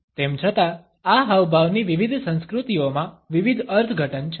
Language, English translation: Gujarati, Even though, this gesture has different interpretations in different cultures